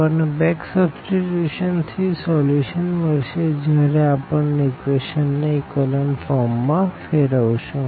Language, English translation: Gujarati, So, we get the solution out of this back substitution once we have this echelon form of the equation